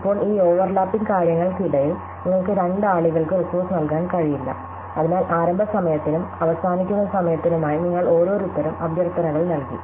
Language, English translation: Malayalam, Now, during these overlapping things, you cannot give the resource to two people, so you have given a set of request each for the starting time and an ending time